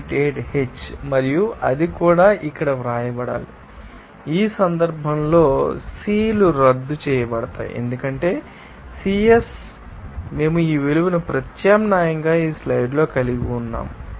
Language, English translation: Telugu, 88 H and that also you know that to be written here, in this case, the Cs will be you know, canceled out because Cs we have substituted this value of is here in this slide